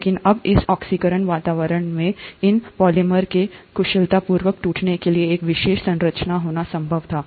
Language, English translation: Hindi, But now in this oxidized environment, there had to be a specialized structure possible to efficiently do breakdown of these polymers